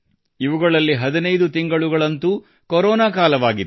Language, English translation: Kannada, Of these, 15 months were of the Corona period